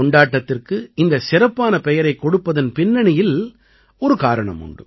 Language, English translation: Tamil, There is also a reason behind giving this special name to the festival